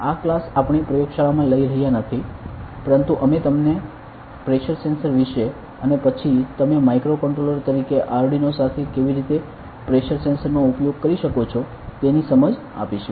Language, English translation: Gujarati, In this class I we are not taking into the lab, but we will kind of give you an understanding about the pressure sensor and then how can you use pressure sensor with Arduino as a microcontroller ok